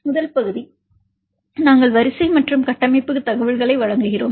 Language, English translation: Tamil, First part we give sequence and structure information